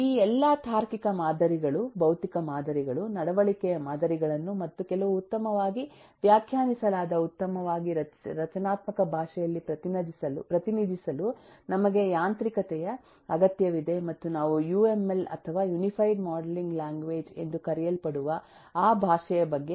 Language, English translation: Kannada, we need a mechanism to represent all these logical models, physical models, behavioral models and so on in some well defined, well structured language, and we will talk about that language, which is called the uml or the unified modeling language